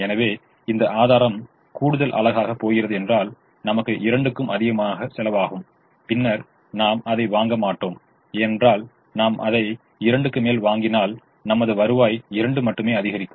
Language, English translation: Tamil, so if this resource is going to the extra unit is going to cost me more than two, then i will not buy it, because if i buy it for more than two, my revenue is only going to increase by two